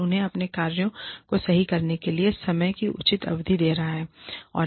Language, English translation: Hindi, And, giving them a reasonable period of time, in which, to correct their actions